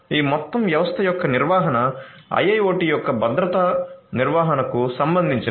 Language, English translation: Telugu, So, the management of this whole system is what concerns the security management of IIoT